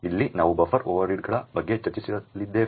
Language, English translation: Kannada, Here we are going to discuss about buffer overreads